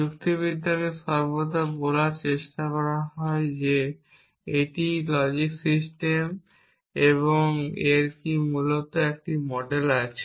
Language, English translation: Bengali, Logics are always tried to say this is the logic system and does it have a model essentially